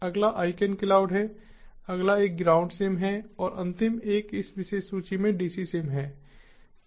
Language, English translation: Hindi, next is icancloud, the next one is groudsim and the last one is dcsim, in this particular list